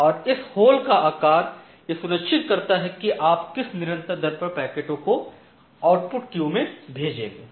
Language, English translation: Hindi, And this size of this hole it will actually trigger that at what constant rate you will send a packet to the output queue